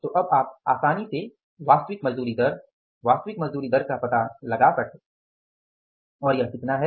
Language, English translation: Hindi, So now you can easily find out the actual wage rate, actual wage rate and this is how much